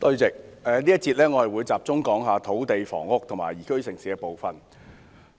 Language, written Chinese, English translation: Cantonese, 在這個辯論環節，我會集中討論有關土地、房屋和宜居城市的政策範疇。, In this debate session I will focus on discussing the policy areas of land housing and liveable city